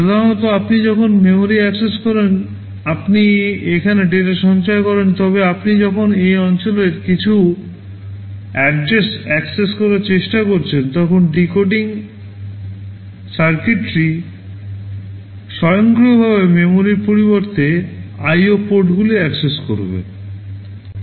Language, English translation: Bengali, Normally when you access memory you store the data here, but when you are trying to access some address in this region there the were decoding circuitry which will automatically be accessing the IO ports instead of the memory